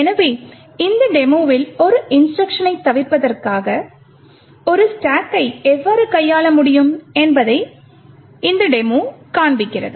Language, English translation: Tamil, So, in this demo will be showing how a stack can be manipulated to actually skip an instruction